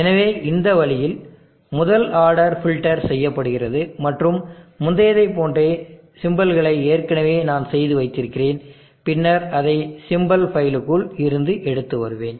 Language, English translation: Tamil, So in this way the first order filter is done and the symbols for the like before, I have already done that and kept and then called it from within the symbols files